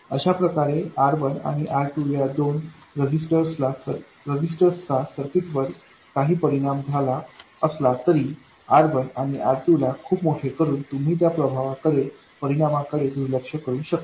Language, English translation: Marathi, So that way although these two resistors R1 and R2 have some effect on the circuit you can ignore that effect by making R1 and R2 very large and there is no other harm done by making R1 and R2 very large